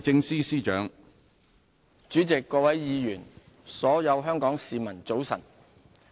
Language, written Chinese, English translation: Cantonese, 主席、各位議員、所有香港市民，早晨。, President Honourable Members and fellow citizens Good morning